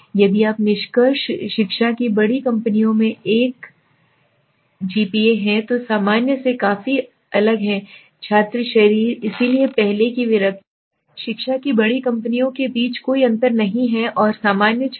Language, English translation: Hindi, Now what are the conclusion education majors have a GPA that is significantly different from the general student body, so earlier hypothesis was okay, there is no difference between the education majors and the normal students